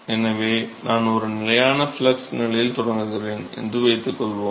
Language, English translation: Tamil, So suppose, I start with a constant flux condition